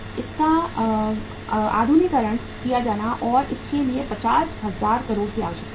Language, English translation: Hindi, It has to be modernized and for that there was a requirement of the 50,000 crores